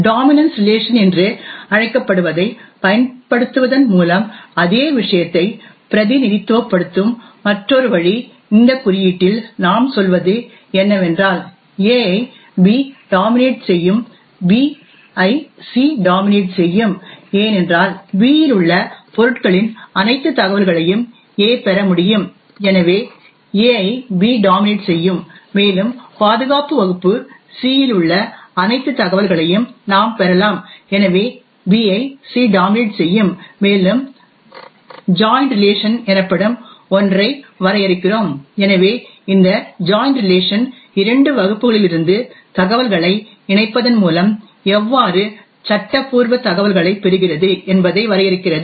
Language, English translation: Tamil, Another way of representing the same thing is by using this so called dominance relation, in this notation what we say is that A dominates B and B dominates C, this is because A can obtain all the information of objects present in B and therefore A dominates B, further we can obtain all the information present in security class C and therefore B dominates C, further we also define something known as the join relation, so this join relation defines how legal information obtained by combining information from two classes